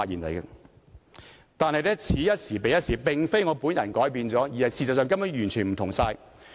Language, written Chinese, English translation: Cantonese, 不過，此一時，彼一時，並非我改變了，而是事實上根本完全不相同。, However that was then this is now . It is not that I have changed only that the situations are totally different